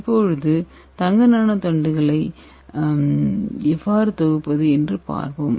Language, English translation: Tamil, So let us see how to synthesize gold, Nano rods, okay